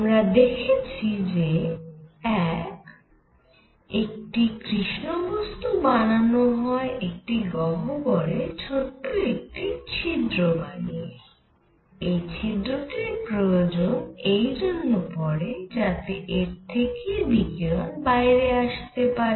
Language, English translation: Bengali, So we have learnt: 1, a black body is made by making a cavity with a small hole in it, I need this hole because the radiation should be coming out